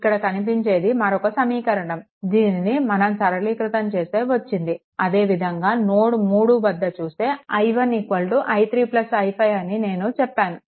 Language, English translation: Telugu, This is your what to call another equation after upon simplification at node 3 also, I told you i 1 is equal to i 3 plus i 5